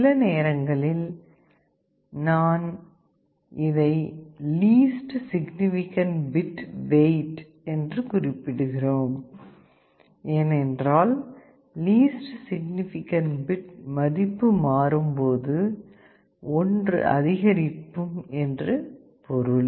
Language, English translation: Tamil, Sometimes we refer to this as the weight of the least significant bit because, when the least significant bit changes that also means an increase of 1